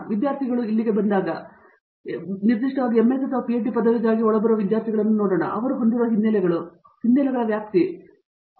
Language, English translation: Kannada, When students come in here for, specifically for an MS or a PhD degree, if you see you know incoming students based on let’s us say, the backgrounds that they have or the range of backgrounds they have and so on